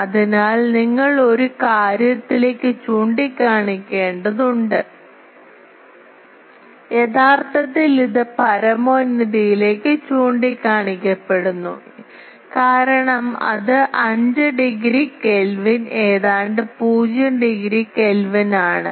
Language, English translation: Malayalam, So, for that you need to point it to the thing, actually generally it is pointed to the zenith because that is 5 degree Kelvin almost 0 degree Kelvin you can say